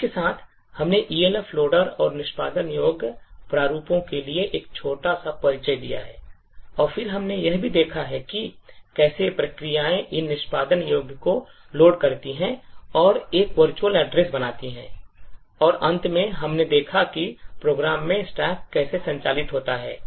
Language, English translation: Hindi, With this, we have given a small introduction to Elf loader and executable formats and then we have also seen how processes execute and load these executables Elf executables and create a virtual address and finally we have seen how the stack in the program operates